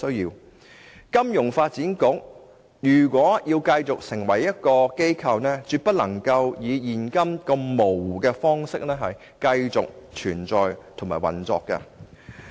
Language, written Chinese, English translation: Cantonese, 如金發局要成為一個機構，便絕不能以現在如此模糊的方式繼續存在及運作。, If FSDC is really intended as an organization with real functions it must not continue to exist and operate in such a dubious manner